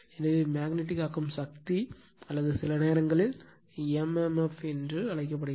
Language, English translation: Tamil, So, F m is actually magnetomotive force, sometimes we call it is at m m f